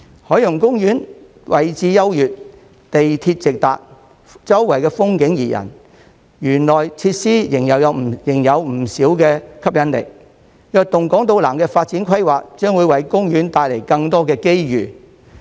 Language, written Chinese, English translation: Cantonese, 海洋公園位置優越，港鐵直達，周圍風景怡人，園內設施仍有不少吸引力；"躍動港島南"發展規劃將會為公園帶來更多的機遇。, Situated at a prime location with direct access by MTR OP is surrounded by beautiful sceneries and the facilities inside the park are still quite attractive while the Invigorating Island South initiative will bring more opportunities for OP